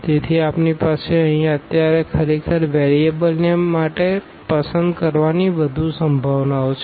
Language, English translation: Gujarati, So, we have more possibilities to actually choose the choose the variables now here